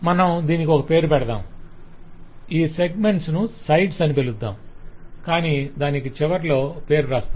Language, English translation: Telugu, and then you give it a name and you say that this segments are called sides, but the end you put that name